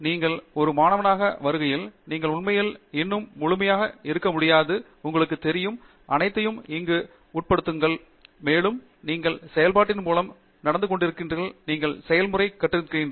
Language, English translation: Tamil, When you come in as a student, you actually still may not fully be, you know, aware of what all is involved here, and as you keep going through the process, you are learning the process